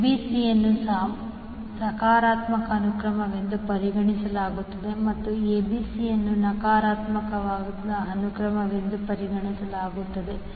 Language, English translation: Kannada, So, ABC is considered as a positive sequence and a ACB is considered as a negative phase sequence